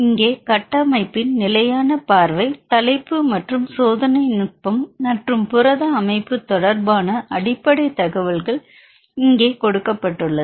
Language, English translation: Tamil, So, we have a static view of the structure here the title as well as basic information about the experimental technique as well as protein structure which is given here